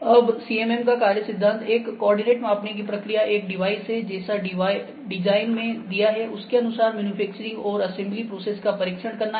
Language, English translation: Hindi, Now, working principle of CMM; a coordinate measuring process is also a device used in manufacturing and assembly processes to test a part or assembly against the design intent